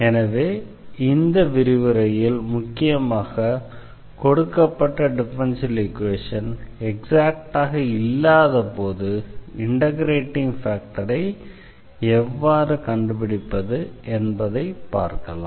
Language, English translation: Tamil, So, here the main topic of this lecture is we will discuss some techniques here how to find integrating factor when a given differential equation is not exact differential equation